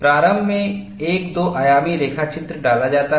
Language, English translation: Hindi, Initially a two dimensional sketch is put